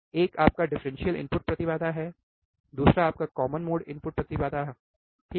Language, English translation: Hindi, One is your differential input impedance, another one is your common mode input impedance alright